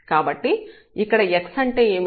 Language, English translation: Telugu, So, what was x here